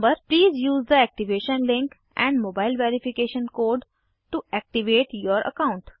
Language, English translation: Hindi, Please use the activation link and mobile verification code to activate your account